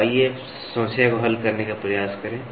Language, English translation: Hindi, So, let us try to solve a problem